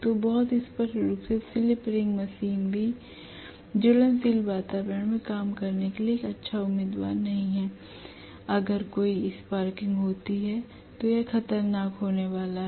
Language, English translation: Hindi, So very clearly even slip ring machine is not a good candidate for working in inflammable environment, because if there is any sparking it is going to be hazardous right